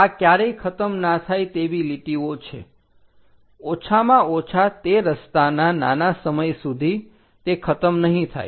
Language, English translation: Gujarati, These are never ending lines which supposed to go, at least for that short span of that road